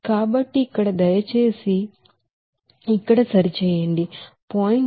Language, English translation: Telugu, So here please correct it here 0